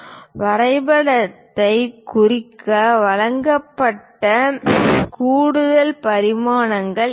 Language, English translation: Tamil, These are the extra dimensions given just to represent the drawing